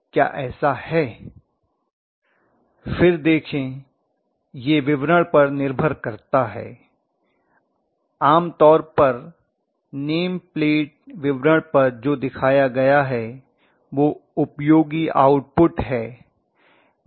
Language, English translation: Hindi, See again it depends upon the statement generally what is shown on the name plate detail is useful output